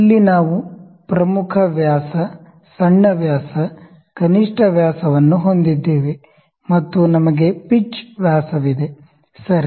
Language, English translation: Kannada, Here we have the major dia, the minor dia, the minimum dia and we have pitch diameter, ok